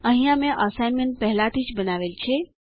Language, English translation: Gujarati, I have already constructed the assignment here